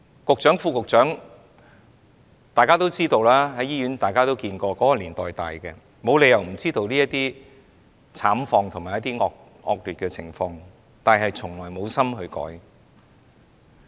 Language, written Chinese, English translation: Cantonese, 局長、副局長，其實和大家一樣，都是在這個年代長大，沒有理由不知道這些惡劣慘況，但是他們從來無心改變。, The Secretary and the Under Secretary are in fact the same as us who grew up in this era . They certainly know these poor and miserable conditions but they never want to change